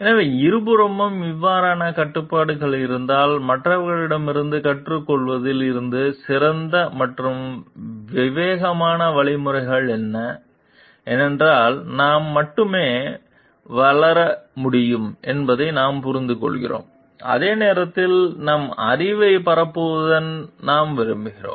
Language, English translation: Tamil, So, if there is a like restrictions on both sides, then what are the best and prudent means from learning from others because we understand we can grow only, when like we can like disseminate our knowledge